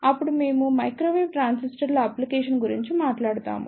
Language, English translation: Telugu, Then, we will talk about the Application of Microwave Transistors